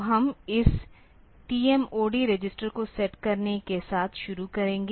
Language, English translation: Hindi, So, we will start with setting this T MOD register